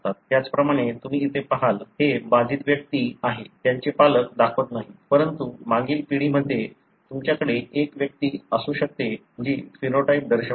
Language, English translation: Marathi, Likewise you see here, this is the affected individual; their parents don’t show, but in the previous generation you may have an individual who is showing the phenotype